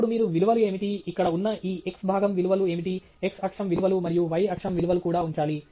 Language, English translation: Telugu, Then, you also have to put up what are the values, what are the values for these x component values that are here, the x axis values and the y axis values